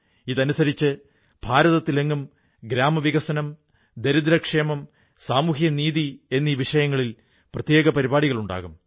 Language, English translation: Malayalam, Under the aegis of this campaign, separate programmes on village development, poverty amelioration and social justice will be held throughout India